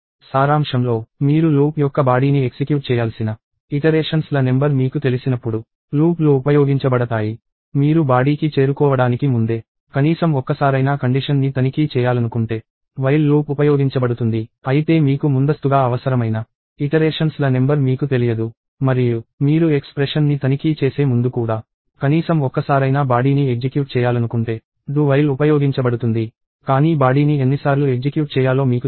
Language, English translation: Telugu, So, in summary, for loops are used whenever you know the number of iterations that you have to run the body of the loop; a while loop is used if you want to check on a condition at least once even before you get to the body, but you do not know the number of iterations that you need upfront; and do while is used if you want to execute a body at least once even before you check the expression, but you do not know the number of times the body is supposed to be executed